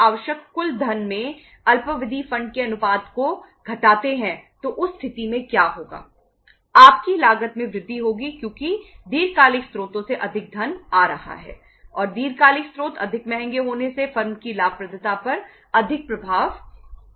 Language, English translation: Hindi, Your cost will increase because more funds are coming from long term sources and long term sources being more expensive more costly impact the profitability of the firm